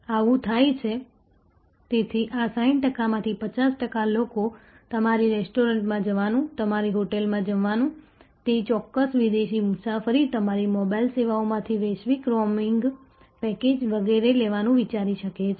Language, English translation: Gujarati, So, 50 percent of this 60 percent may consider going to your restaurant, going to your hotel, taking that particular foreign travel, global roaming package from your mobile service, etcetera